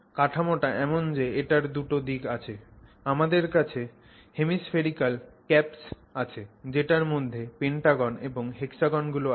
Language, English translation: Bengali, At the two ends you have hemispherical caps and this this consists of pentagons and hexagons